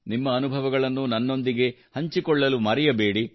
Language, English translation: Kannada, Don't forget to share your experiences with me too